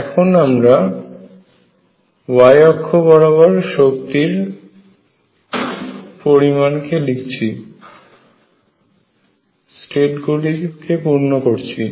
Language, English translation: Bengali, So, what you can see is that if I write the energy on the y axis and fill the states